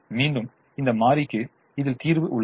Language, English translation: Tamil, again this variable comes into the solution